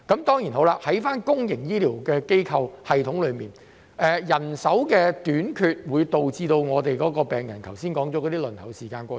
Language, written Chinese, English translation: Cantonese, 在公營醫療系統方面，人手短缺會導致剛才所說的問題，包括病人輪候時間過長。, As regards the public healthcare system manpower shortage will lead to the aforesaid problems including excessively long waiting time for patients